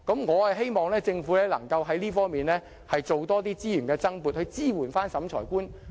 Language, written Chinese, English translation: Cantonese, 我希望政府能在這方面多撥資源，支援審裁官。, I hope that the Government can allocate more resources to providing support for the Adjudicators in this respect